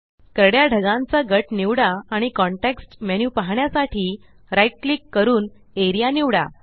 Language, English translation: Marathi, Select the gray cloud group and right click to view the context menu and select Area